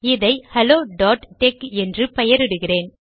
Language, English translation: Tamil, I have named it hello.tex